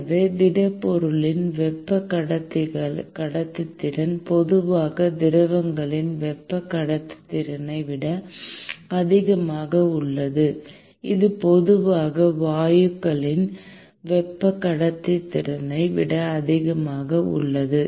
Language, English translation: Tamil, So, the thermal conductivity of solids is typically greater than the thermal conductivity of liquids, which is typically greater than the thermal conductivity of gases